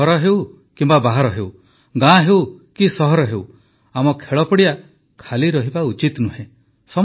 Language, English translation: Odia, At home or elsewhere, in villages or cities, our playgrounds must be filled up